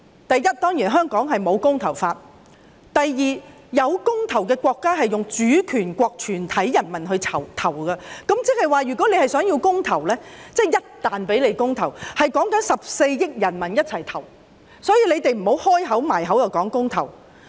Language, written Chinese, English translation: Cantonese, 第一，香港並無"公投法"；第二，設有公投的國家是以主權國全體人民投票，也就是說，如果他們要進行公投，或一旦讓他們進行公投，便要14億人民一同投票，所以請他們不要常把公投掛在口邊。, First there is no referendum law in Hong Kong . Second in countries where referendum can be held the polling covers all citizens of the sovereign country . In other words if they want to have a referendum or if by any chance they can hold a referendum the 1.4 billion citizens are all entitled to vote